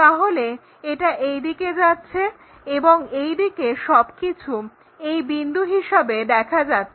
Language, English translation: Bengali, So, that one goes in that way and all these things on the other side maps to this point